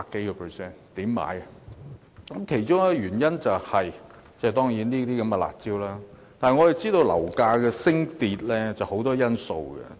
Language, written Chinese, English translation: Cantonese, 樓價上升，其中一個原因當然是這些"辣招"，但我們知道樓價升跌受很多因素影響。, These curb measures are certainly one of the reasons for the rise in property prices but we understand that many factors affect the movement of property prices